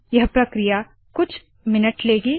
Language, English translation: Hindi, This will take few minutes